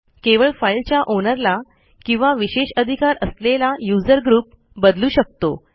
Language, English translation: Marathi, Only the owner of a file or a privileged user may change the group